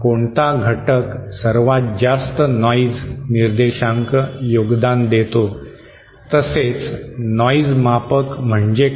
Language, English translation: Marathi, Which element contributes most noise figure and then the concept of noise measure